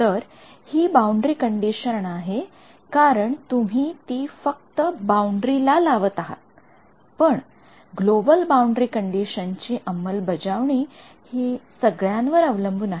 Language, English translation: Marathi, So, that is also boundary condition because you are imposing it only on the boundary, but that is the global boundary conditions it depends on all of these right